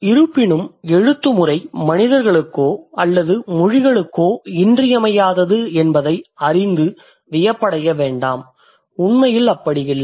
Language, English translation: Tamil, However don't be surprised to know that writing system is essential to humans or is essential to languages, not really